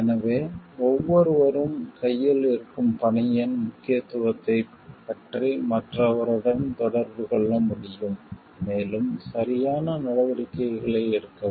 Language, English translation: Tamil, So, that everybody can communicate with the other about the like importance of the task at hand and, like get the corrective actions taken